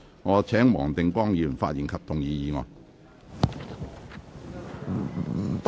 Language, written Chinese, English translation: Cantonese, 我請黃定光議員發言及動議議案。, I call upon Mr WONG Ting - kwong to speak and move the motion